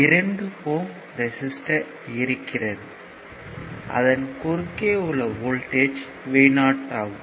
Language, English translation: Tamil, So, and voltage across 2 ohm resistance is v 0